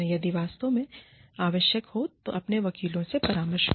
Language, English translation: Hindi, Consult with your lawyers, if necessary